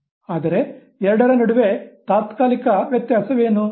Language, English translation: Kannada, What is the temporal difference between the two